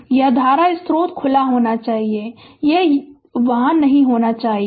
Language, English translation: Hindi, And this current source should be open; it should not be there